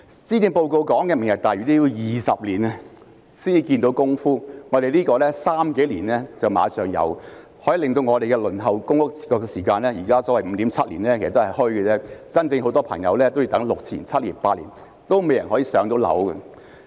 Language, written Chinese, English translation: Cantonese, 施政報告提到的"明日大嶼"也要20年才可看到成果，但這個方案只需三數年便立即有成果，可以減少輪候公屋的時間，現在所謂的 5.7 年其實也是"虛"的，很多市民要等6年至8年仍未能"上樓"。, While Lantau Tomorrow as mentioned in the Policy Address will take two decades to produce results this approach will immediately bear fruits in only a couple of years . The waiting time for public rental housing can then be shortened . The current waiting time of 5.7 years is actually not true as many members of the public still have not been allocated a unit after waiting for six to eight years